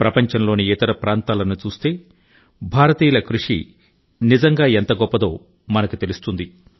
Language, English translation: Telugu, When we glance at the world, we can actually experience the magnitude of the achievements of the people of India